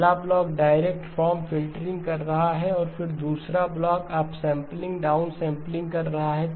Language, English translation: Hindi, First block is doing the direct form filtering and then the second block is doing your sampling, down sampling